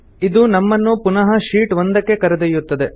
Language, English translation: Kannada, This takes us back to Sheet 1